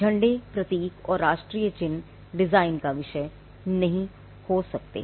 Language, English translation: Hindi, Flags, emblems and national symbols cannot be a subject matter of design right